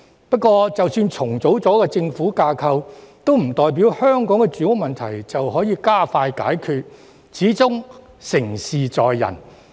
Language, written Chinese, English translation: Cantonese, 不過，即使重組政府架構，亦不代表香港的住屋問題能加快得到解決，始終成事在人。, However even if the government structure is reorganized it does not mean that the housing problem of Hong Kong can be resolved expeditiously as after all human effort is the decisive factor